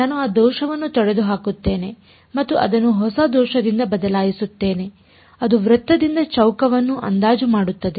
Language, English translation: Kannada, I get rid of that error and I replace it by a new error which is approximating a square by a circle